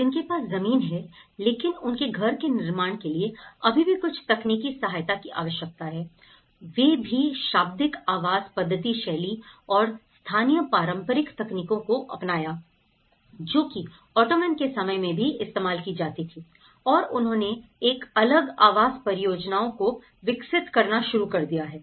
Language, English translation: Hindi, So, those who have a land but require still some technical assistance to construct their house, so here, what they have used they even gone back to the vernacular housing methodologies and they adopted the local traditional technologies, which were even used in Ottoman times and they have started developing a detached housing projects